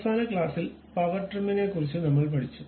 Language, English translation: Malayalam, In the last class, we have learned about Power Trim